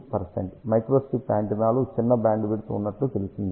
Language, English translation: Telugu, 5 percent, in fact, microstrip antennas are known to have smaller bandwidth